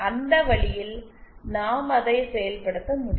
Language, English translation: Tamil, And that way we can realise it